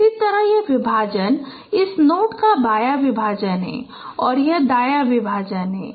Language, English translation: Hindi, Similarly this partition this is the left partition of this note and this is the right partitions